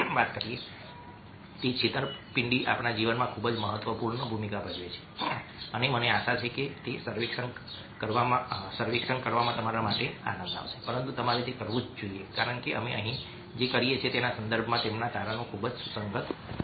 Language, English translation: Gujarati, the discipline i very important role in our life's and i hope it will be fun for you to do those surveys, but you must do them because their findings are going to be very relevant in the context of what we do over here